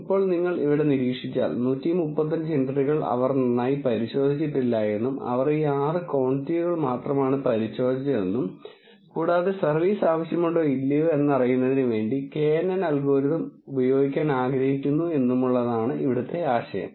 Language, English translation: Malayalam, Now, if you observe here, there are 135 entries for which they have not thoroughly checked they just measured this 6 quantities and they want to figure out whether service is needed or not using the knn algorithm that is the whole idea